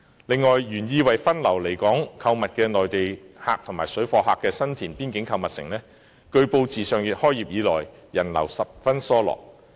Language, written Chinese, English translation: Cantonese, 此外，原意為分流來港購物的內地客和水貨客的新田邊境購物城，據報自上月開業以來，人流十分疏落。, Besides regarding The Boxes which is a boundary shopping mall in San Tin intended to divert Mainland shoppers and parallel traders it is reported that the customer flow has been low since its opening last month